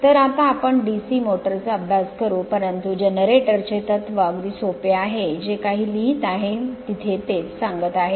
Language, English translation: Marathi, So, now we will study your DC motor, but principle of a generator very simple it is, whatever write up is there it is just I am telling